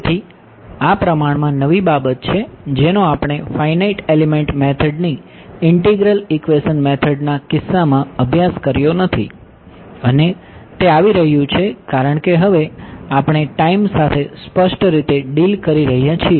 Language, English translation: Gujarati, So, this is relatively a new thing which we did not study in the case of integral equation methods of finite element methods, and that is coming because now, we are dealing with time explicitly